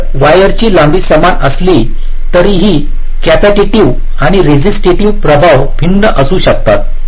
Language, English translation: Marathi, so so, although the wire lengths are the same, the capacity and resistive effects may be different